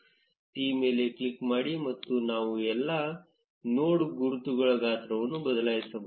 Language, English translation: Kannada, Click on T, and either we can change the size of all the node labels